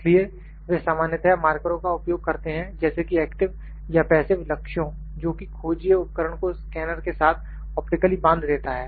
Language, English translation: Hindi, So, they usually use markers such as passive or active targets that optically bind the tracking device to the scanner